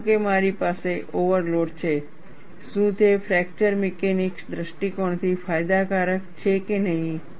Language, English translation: Gujarati, Suppose, I have an overload, is it beneficial from fracture mechanics from point of view or not